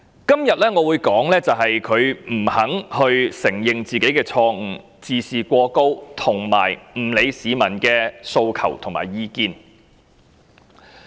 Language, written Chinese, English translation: Cantonese, 今天我會說句，他不肯承認自己的錯誤，自視過高，以及不理會市民的訴求和意見。, Today I must add that he refuses to admit his fault overestimates his ability and pays no heeds to peoples demands and views